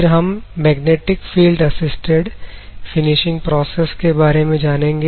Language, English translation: Hindi, Then Introduction to Magnetic field Assisted finishing process